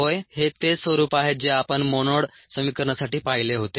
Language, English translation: Marathi, yes, it's a same form that we got for the monad equation